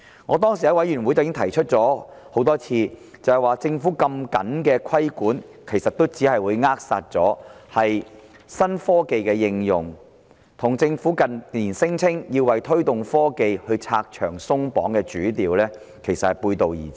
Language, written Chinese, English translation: Cantonese, 我在法案委員會曾多次提出，政府的規管這麼嚴謹，其實只會扼殺新科技的應用，與政府近年聲稱要為推動科技拆牆鬆綁的主調背道而馳。, I have raised time and again in the Bills Committee that the Governments stringent regulation will actually throttle the application of new technologies running contrary to the Governments main advocacy in recent years on removing barriers for the promotion of technology